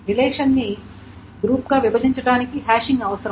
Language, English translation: Telugu, The hashing is required to partition the relation into this group